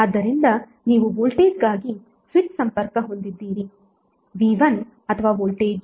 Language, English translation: Kannada, So you have switch connected either for voltage that is V1 or 2 voltage V2